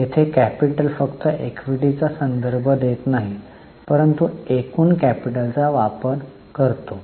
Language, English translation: Marathi, Here the capital does not refer only to equity but the total capital employed